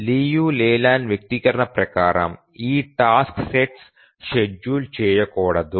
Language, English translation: Telugu, So, according to the Leland expression, this task set should not be schedulable